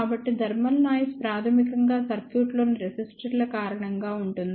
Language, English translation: Telugu, So, thermal noise is basically because of the resistors in the circuit